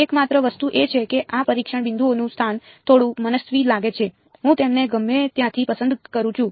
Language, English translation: Gujarati, Only thing is that the location of these testing points seems a little arbitrary right, I just pick them anywhere right